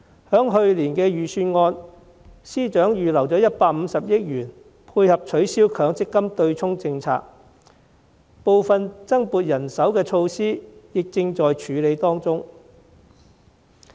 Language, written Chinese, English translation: Cantonese, 在去年的預算案，司長預留了150億元配合取消強積金對沖政策，部分增撥人手的措施亦正在處理當中。, In the Budget last year the Financial Secretary mentioned that 15 billion would be earmarked for abolishing the Mandatory Provident Fund offsetting mechanism . Some of the initiatives for allocating additional manpower are also being processed